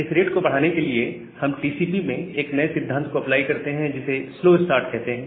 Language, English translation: Hindi, Now, to increase this rate, we apply a principle in TCP, which is called slow start